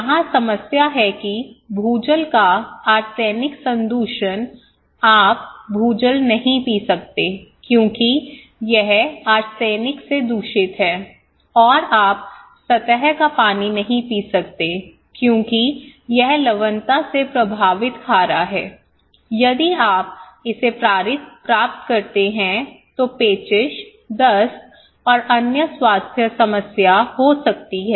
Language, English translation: Hindi, What is the problem here is that arsenic contamination of groundwater so, arsenic contamination of groundwater you cannot drink the groundwater because it is contaminated by arsenic and you cannot drink surface water because it is saline affected by salinity, is the kind of salty if you get, you will get dysentery, diarrhoea and other health problem